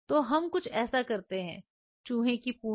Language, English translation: Hindi, So, we do something like this right tail of the RAT